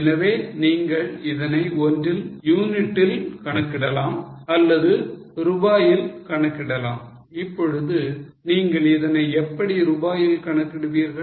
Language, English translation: Tamil, Okay, so you can either calculate it in terms of units or you can also calculate it as rupees